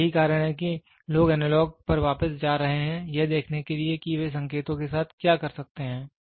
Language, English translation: Hindi, So, that is why people are moving back to analog to see what they can do with the signals